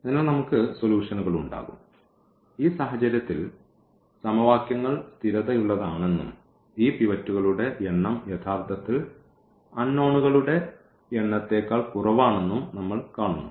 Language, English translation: Malayalam, So, the system is consistent means we will have solutions and in the indeed in this case when we see that the equations are consistent and this number of pivots are less than actually the number of unknowns